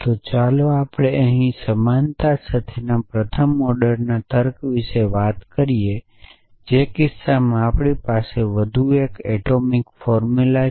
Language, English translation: Gujarati, So, let us talk about the first order logic with equality here in which case we have one more atomic formula